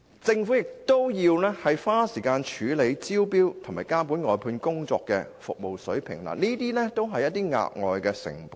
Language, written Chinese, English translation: Cantonese, 政府亦須花時間處理招標和監管外判工作的服務水平，這些均是額外成本。, The Government will also need to spend time on handling the tender exercise and monitoring the service standard of the outsourced work . All of these are extra costs